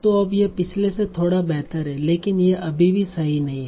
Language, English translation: Hindi, So now this is slightly better than the last one but it's still not perfect